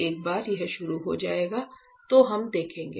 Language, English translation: Hindi, So, once it starts we will see that